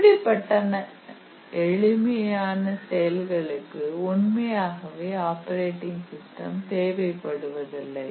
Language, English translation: Tamil, So, that is a very simple task and we do not really need an operating system